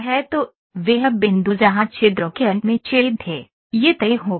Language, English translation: Hindi, So, the point where holes were there in the end of the livers it is fixed